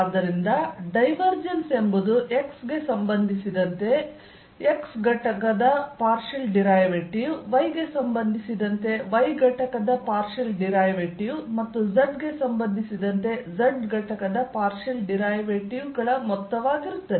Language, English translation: Kannada, so is divergence is going to be the sum of the partial derivative of x component with respect to x, partial derivative of y component with respect to y and partial derivative of z component with respect to z